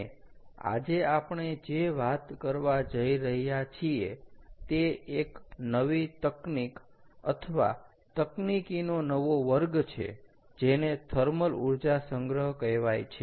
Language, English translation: Gujarati, and what we are going to talk about today is a new one, is a new technology or new class of technologies called thermal energy storage